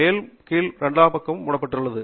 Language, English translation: Tamil, The top is covered and the bottom is covered